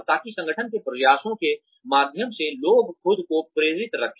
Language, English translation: Hindi, So, that the people keep themselves motivated, through the efforts of the organization